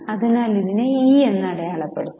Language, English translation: Malayalam, So, let us mark it as E